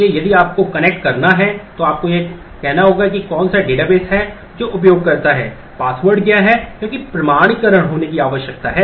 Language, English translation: Hindi, So, if you have to connect you have to say which database who is the user, what is the password, because authentication needs to happen